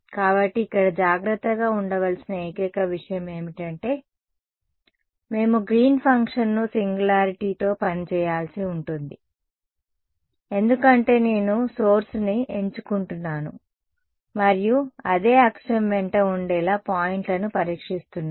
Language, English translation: Telugu, So, the only thing to be careful about here is that, we will have to work out the Green's function with the singularity because I am choosing the source and testing points to be up along the same axis